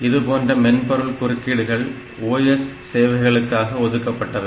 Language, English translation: Tamil, So, normally this is, software interrupts are reserved for this OS services